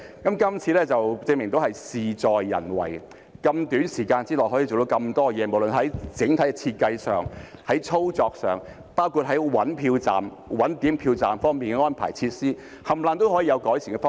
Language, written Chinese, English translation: Cantonese, 今次便證明事在人為，在這麼短的時間內可以做到那麼多事情，不論是在整體設計上、操作上，包括在尋找投票站、點票站及有關的安排和設施，各方面也有改善的方向。, This time around it is proven that determination is the decisive factor . So many things can be done within such a short span of time and whether in respect of the overall design or practical operation such as looking for polling and counting stations and the relevant arrangements and facilities all are heading in the direction of improvement